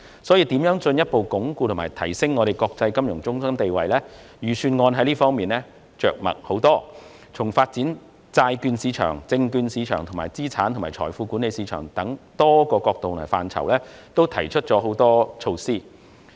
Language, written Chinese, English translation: Cantonese, 所以，關於如何進一步鞏固及提升香港作為國際金融中心的地位，預算案着墨甚多，就發展債券市場和證券市場，以及資產及財富管理等多個範疇均提出不同的措施。, Therefore the Budget makes considerable mention of the ways to further reinforce and enhance Hong Kongs status as an international financial centre and proposes various measures in a number of areas ranging from the development of the bond market and securities market to asset and wealth management